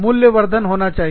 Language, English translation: Hindi, It has to be, a value addition